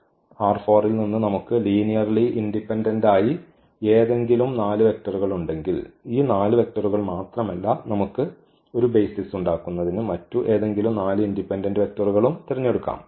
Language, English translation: Malayalam, So, if we have 4 linearly any 4 linearly independent vectors from R 4 not only this 4 vectors we can pick any 4 linearly independent vectors that will form a basis